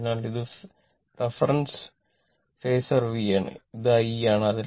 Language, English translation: Malayalam, So, this is my reference phasor V and this is I